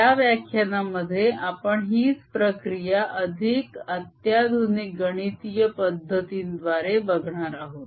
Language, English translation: Marathi, in this lecture we are going to see the same treatment in a more sophisticated mathematical method